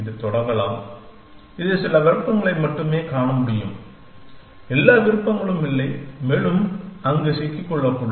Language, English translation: Tamil, It could get started; it could only see some options and not all options and could get stuck there essentially